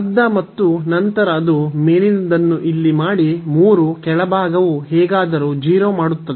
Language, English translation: Kannada, So, 1 by 2 and then that is post the upper one here 3 lower one will make anyway 0